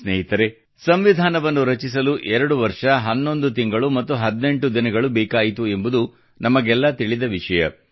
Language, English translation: Kannada, Friends, all of us know that the Constitution took 2 years 11 months and 18 days for coming into being